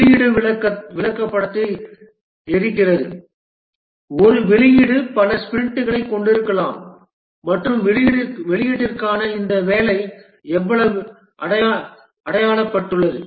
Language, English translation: Tamil, The release burn down chart, a release may consist of multiple sprints and how much of this work for the release has been achieved